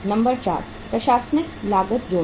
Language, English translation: Hindi, Number 4 uh add administrative cost